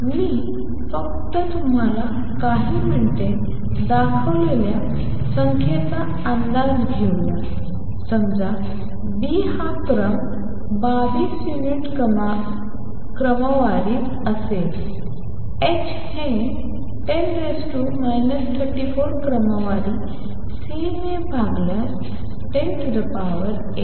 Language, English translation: Marathi, Let us estimate the number I have just shown you few minutes suppose B is of the order 22 units h is of the order of 10 raise to minus 34 divided by C is of the order of 10 raise to 8